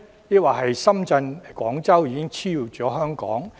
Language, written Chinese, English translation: Cantonese, 抑或深圳或廣州已經超越香港？, Has Shenzhen or Guangzhou already surpassed Hong Kong?